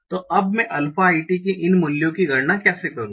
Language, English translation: Hindi, So now how do I compute these values of alpha a